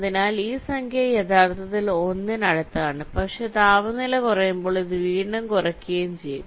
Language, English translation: Malayalam, this number is actually goes to one, but as temperature decreases this will become less and less